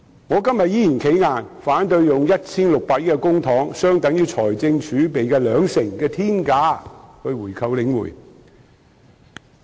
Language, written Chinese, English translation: Cantonese, 我今天依然"企硬"，反對以 1,600 億元公帑——相等於財政儲備的兩成——的天價購回領展。, Today I am still standing firm on opposing the payment of a sky - high price of 160 billion―equivalent to 20 % of the fiscal reserves―by the public coffers to buy back The Link Real Estate Investment Trust